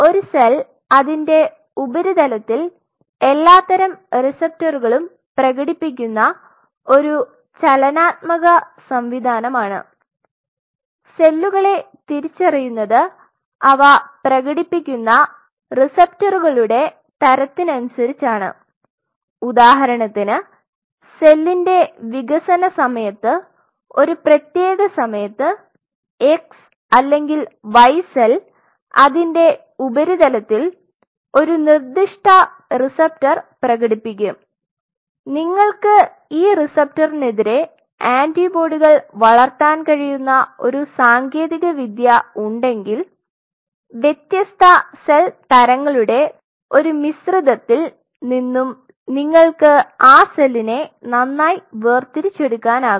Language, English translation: Malayalam, So, a cell is a dynamic system it expresses a whole sorts of receptors on its surface and a cell distinguishes itself by the kind of receptor it is expressing now see for example, during the development of the cell if you know that at a specific time point that x or y cell is going to express a specific receptor on its surface then if you have a technology by virtue of which you can grow antibodies against that receptor then in a pool of different cell types you can separate out that cell well